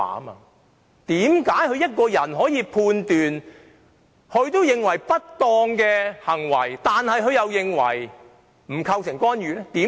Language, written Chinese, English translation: Cantonese, 為何對於連她也認為不當的行為，她可判斷為並不構成干預？, How can she judge that an act which even she considers improper does not constitute an interference?